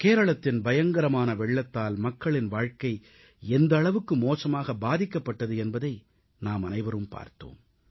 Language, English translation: Tamil, We just saw how the terrible floods in Kerala have affected human lives